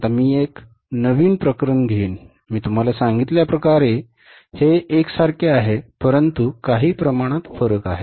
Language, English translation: Marathi, Now I will take up a new case almost as I told you is similar but some differences are there